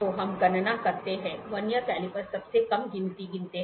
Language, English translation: Hindi, So, let us calculate, let us calculate the Vernier calipers least count